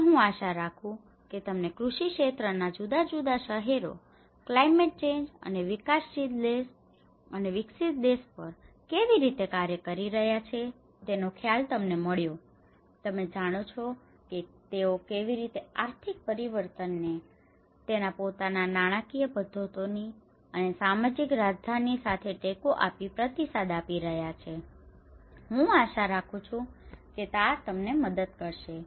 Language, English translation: Gujarati, So, I hope you got an idea of how different cities from an agricultural sector has been working on the climate change and the developing country and the developed country, you know so how they are responding to this climate change with their own financial mechanisms with support systems and with social capitals, right I hope this help you